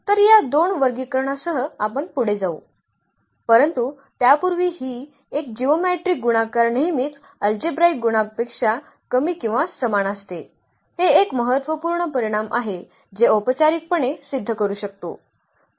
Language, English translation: Marathi, So, with these two classification we will move further, but before that there is a note here, that this geometric multiplicity is always less than or equal to the algebraic multiplicity, that is a important result which one can formally prove